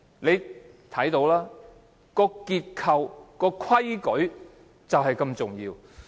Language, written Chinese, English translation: Cantonese, 由此可見，結構和規矩都很重要。, This shows that structures and rules are very important